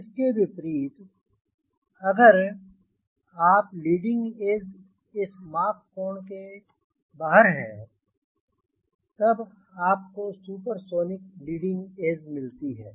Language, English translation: Hindi, in contrast, if you are leading edge is outside this mach cone, then you will have supersonic leading edge